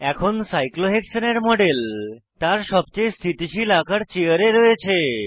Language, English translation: Bengali, The model of Cyclohexane is now, in its most stable chair conformation